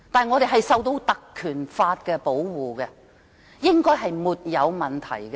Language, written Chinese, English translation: Cantonese, 我們受到《立法會條例》保護，應該是沒有問題的。, We are protected by the Legislative Council Ordinance so there should be no problems